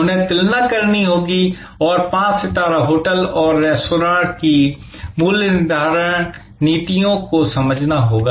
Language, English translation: Hindi, They have to compare, they have to understand the five star hotel and the restaurants and their pricing policies